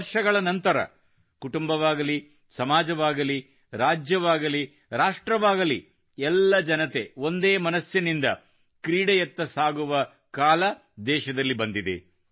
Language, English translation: Kannada, After years has the country witnessed a period where, in families, in society, in States, in the Nation, all the people are single mindedly forging a bond with Sports